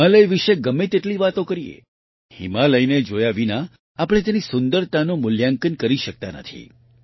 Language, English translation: Gujarati, No matter how much one talks about the Himalayas, we cannot assess its beauty without seeing the Himalayas